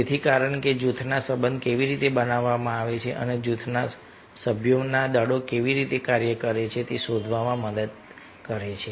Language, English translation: Gujarati, so, ah, because it helps to find how the relationship are made within the group and how the forces act within the group members